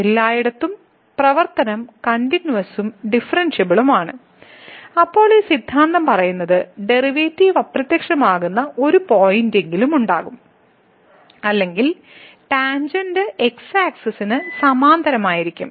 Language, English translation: Malayalam, So, the function is continuous and differentiable everywhere then this theorem says that there will be at least one point where the derivative will vanish or the tangent will be parallel to